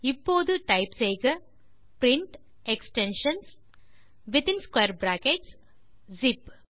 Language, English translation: Tamil, And now type print extensions within square brackets zip